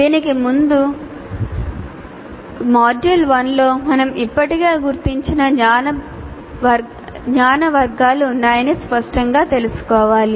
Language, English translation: Telugu, Before that, we need to be clear that there are categories of knowledge that we have already identified in module one